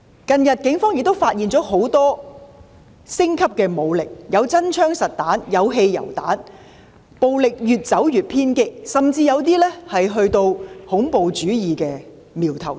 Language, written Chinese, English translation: Cantonese, 近日，警方亦發現很多武力升級的證據，包括搜獲真槍實彈和汽油彈，顯示出暴力越走越偏激，甚至出現恐怖主義的苗頭。, Recently the Police also found a great deal of evidence of the escalating use of force . Among others they have seized live ammunition and petrol bombs . This indicates that the violence is getting more and more intense and there are even signs of terrorism